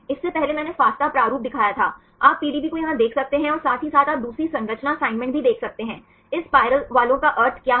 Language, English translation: Hindi, Earlier I showed the fasta format, you can see the PDB here as well as you can see the second structure assignments; what is the meaning of this spiral ones